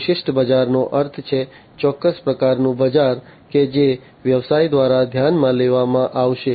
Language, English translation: Gujarati, Niche market means, the specific type of market that will be considered by the business